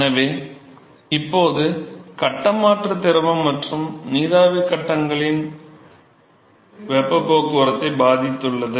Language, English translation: Tamil, So, now, the phase change has affected heat transport by both liquid and the vapor phases